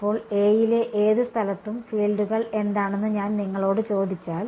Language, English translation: Malayalam, Then, if I ask you what are the fields at any point on A